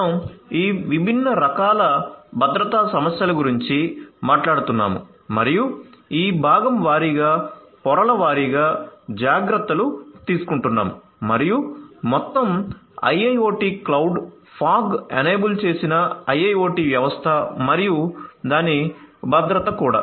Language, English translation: Telugu, So, we are talking about all these different different types of security issues and taking care of these component wise layer wise and so on for the system as a whole IIoT clouds, fog enabled IIoT system and it’s security